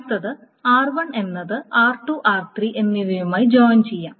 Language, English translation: Malayalam, So R1 is joined with R2 and then that is joined with R3